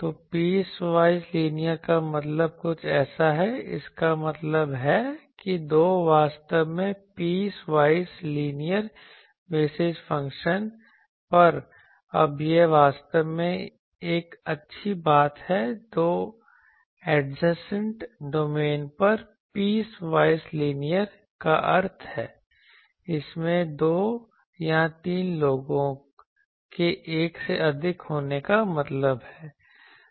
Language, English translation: Hindi, So, piecewise linear means something like this so; that means, over two actually piecewise linear basis function is these now this is a good thing actually piecewise linear means over two adjacent domain it has over lapping two or three people make that from a one